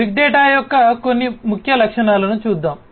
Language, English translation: Telugu, So, let us look at some of the key attributes of big data